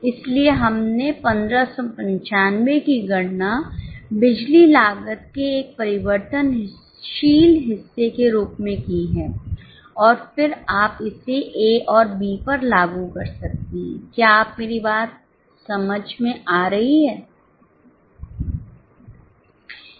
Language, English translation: Hindi, So, we have calculated 1595 as a variable portion of power cost and then you can apply it to A and B